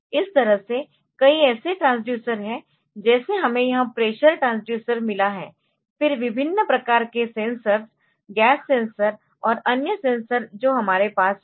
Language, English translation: Hindi, So, that that way there are many such transducers like we have got this pressure transducers, then different type of sensors gas sensors and other sensors that we have